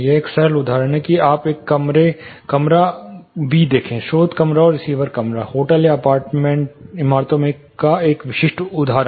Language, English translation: Hindi, This is a simple example see you have a room a room b; source room and receiver room, typical example in hotels or you know apartment buildings